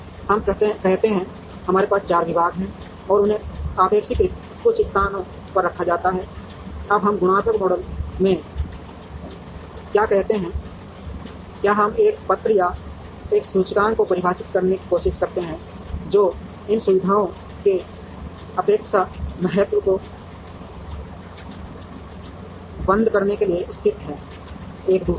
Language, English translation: Hindi, Let us say, we have 4 departments and they have to be placed in certain places relatively, now what we do in a qualitative model is we try to define a letter or an index, which captures the relative importance of these facilities being located to close to each other